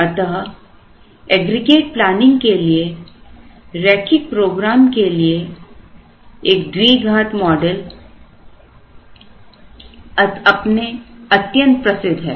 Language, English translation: Hindi, So a quadratic model for linear program for aggregate planning is quite famous